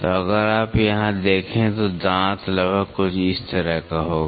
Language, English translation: Hindi, So, if you see here, the tooth will be approximately something like this